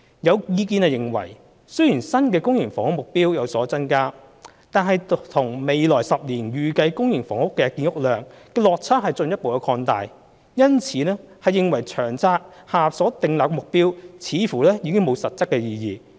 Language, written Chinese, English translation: Cantonese, 有意見認為，雖然新的公營房屋目標有所增加，但與未來10年的預計公營房屋建屋量的落差進一步擴大，因而認為《長策》下所訂立的目標似乎已無實質意義。, There are views that despite the increase in the new supply target for public housing the gap between the target and the estimated public housing production in the next 10 years will be further enlarged thus rendering the targets set in the Long Term Housing Strategy seemingly without substantive meanings